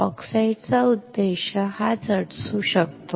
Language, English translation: Marathi, This is what the purpose of the oxide can be